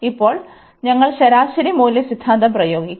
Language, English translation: Malayalam, And now we will apply the mean value theorem